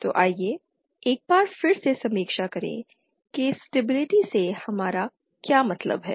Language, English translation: Hindi, So let us review once again what we mean by stability